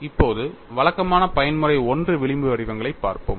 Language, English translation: Tamil, Let us now look at the typical mode 1 fringe patterns